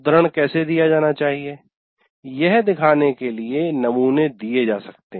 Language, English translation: Hindi, That you can give samples and show this is how you should submit the citation